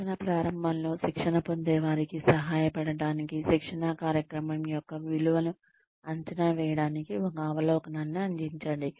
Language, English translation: Telugu, Provide an overview, at the beginning of training, to help trainees, assess the value of a training program